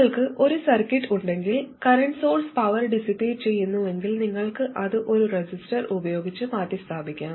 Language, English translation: Malayalam, But if you have a circuit where a current source is dissipating power, you could replace it with a resistor